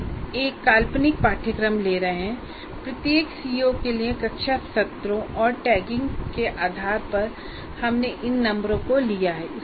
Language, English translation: Hindi, We are taking a hypothetical course and say the based on classroom sessions taken for each COO and the tagging that we have used, we came up with these numbers